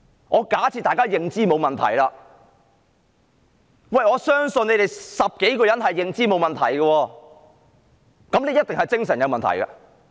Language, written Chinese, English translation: Cantonese, 我假設他們的認知沒有問題，我相信他們10多人的認知是沒有問題的，那麼，他一定是精神有問題。, I assume their cognitive faculty is intact . Given my conviction about the cognitive acuity of the dozen of them I can only conclude that he suffers from mental disorder